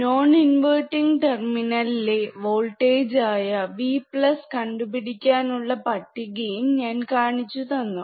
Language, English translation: Malayalam, I have shown you the table where you can measure V plus, which is voltage at and non inverting non inverting terminal,